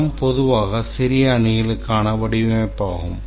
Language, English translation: Tamil, Scrum consists of small teams which are self organizing